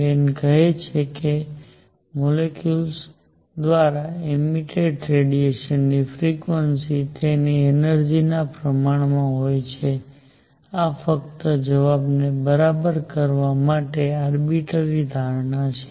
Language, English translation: Gujarati, Wien says that the radiation frequency emitted by a molecule is proportional to its energy, this is an arbitrary assumption just to get the answer all right